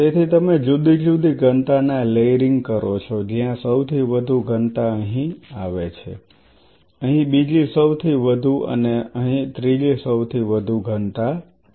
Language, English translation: Gujarati, So, you are layering different densities where the highest density is lying here second highest here third highest here forth